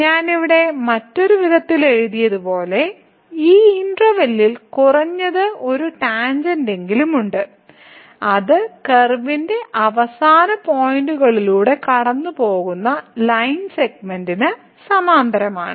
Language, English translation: Malayalam, So, as I have written here in other words there is at least one tangent in this interval that is parallel to the line segment that goes through the end points of the curve